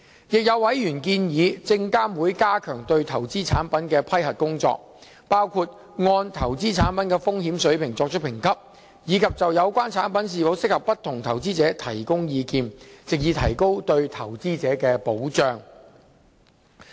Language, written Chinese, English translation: Cantonese, 亦有委員建議證監會加強對投資產品的批核工作，包括按投資產品的風險水平作出評級，以及就有關產品是否適合不同的投資者提供意見，藉以提高對投資者的保障。, Some members have suggested SFC strengthen its work on approving investment products including rating investment products based on their risk levels and advising on the suitability of products for various investors in a bid to boost investor protection